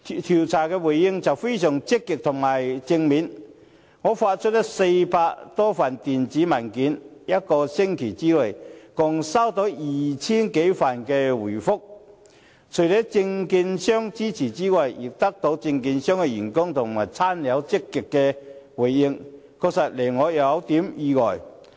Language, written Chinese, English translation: Cantonese, 調查結果非常積極和正面，我發出400多份電子問卷，一個星期內共接獲 2,000 多份回覆，除了證券商支持之外，也獲得證券商員工和親友的極積回應，確實令我有點意外。, I sent more than 400 electronic questionnaires and received some 2 000 replies with a week . Besides securities dealer staff and relatives of securities dealers also actively responded . This is a bit surprising to me